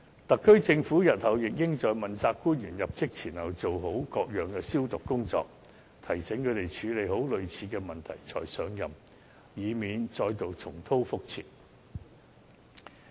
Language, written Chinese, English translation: Cantonese, 特區政府日後亦應在問責官員入職前做好各樣"消毒"工作，提醒他們要先處理好類似問題才上任，以免再度重蹈覆轍。, In future the SAR Government should also carry out thorough purification before each accountability official assumes office . It should remind them that they must take proper care of similar problems before assuming office so as to avoid making the same mistake